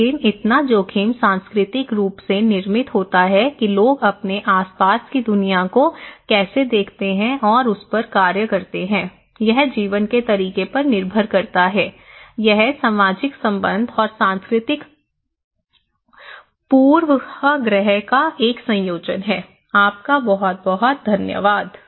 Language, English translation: Hindi, But so risk is culturally constructed, how people perceive and act upon the world around them depends on the way of life and way of life; a combination of social relation and cultural bias, thank you very much